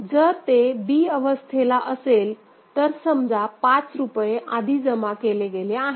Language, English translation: Marathi, So, if it is at state b, consider the rupees 5 has been deposited just before it